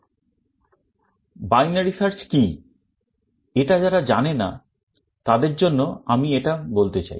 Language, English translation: Bengali, Let me tell you what binary search is for the sake of those who do not know it